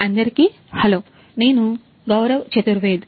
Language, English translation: Telugu, Hello everyone, I am Gaurav Chaturvedi